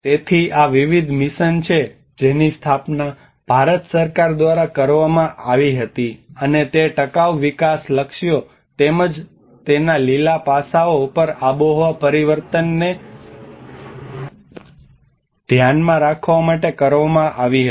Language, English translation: Gujarati, So these are different missions which were established by the Government of India and in order to address the sustainable development goals and as well as the climate change on the green aspects of it